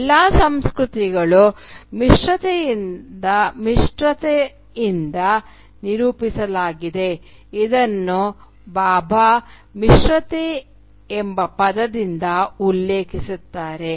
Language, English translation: Kannada, All culture is characterised by a mixedness which Bhabha refers to by the word hybridity